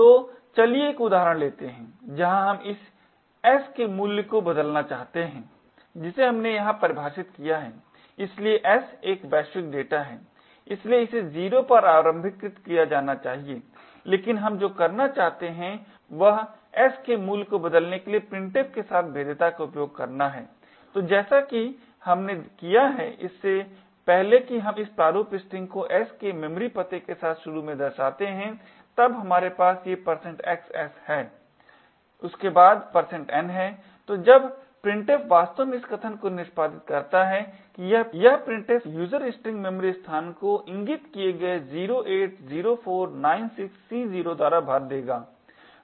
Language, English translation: Hindi, the content of this s which we have defined here so s is a global data so it should be initialised to 0 but what we want to do is use the vulnerability with printf to change the value of s, so as we have done before we specify this format string with the memory address of s represent initially then we have these % xs followed by % n, so when printf actually executes this statement that this printf user string it would fill the memory location pointed to by 080496C0 which essentially is the address of s, so that memory location would be filled with the number of bytes that printf had just printed